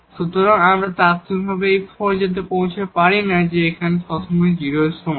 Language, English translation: Bengali, So, we cannot conclude out of this immediately by having this that this is here greater than equal to 0